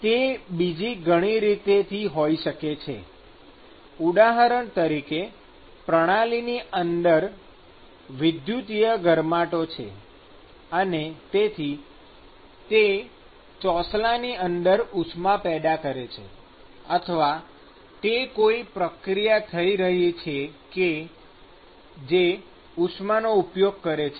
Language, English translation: Gujarati, It could be many different ways, for example, it could be like there is an electrical heating system inside and so, that is generating heat inside the slab, or it could be some reaction which is inducing heat inside